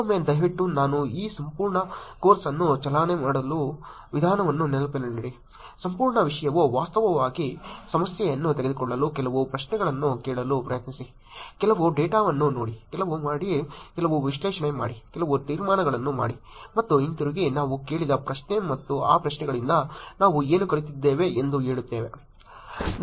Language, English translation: Kannada, Again please keep in mind the way that I am driving this whole course, whole content is to actually take a problem try to ask some questions, look at some data, make some, do some analysis, make some inferences, and come back to the question that we have asked and say what did we learn from those questions